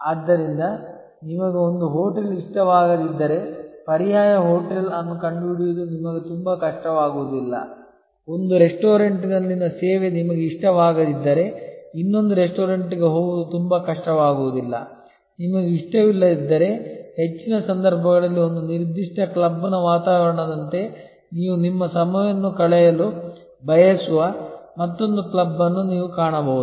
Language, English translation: Kannada, So, if you do not like one hotel it will not be very difficult for you to find an alternative hotel, if you do not like the service at one restaurant, it will not be very difficult to move to another restaurant, if you do not like the ambiance of one particular club in most cases you can find another club where you would like to spend your time